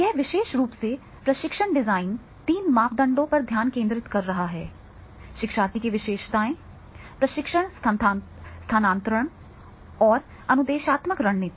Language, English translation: Hindi, This particular designing of training is focusing on the three parameters, learners characteristics, training transfer and the instructional strategies